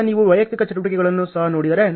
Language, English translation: Kannada, Now, if you see at the individual activities also